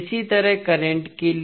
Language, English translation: Hindi, Similarly, for current